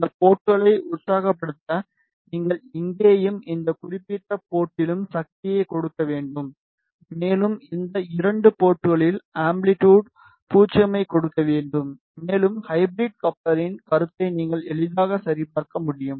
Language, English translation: Tamil, Just to excite these ports you need to just give power here and at this particular port and just give the amplitude 0 at these 2 ports, and you can easily verify the concept of hybrid coupler